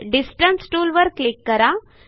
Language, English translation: Marathi, Click on Distance tool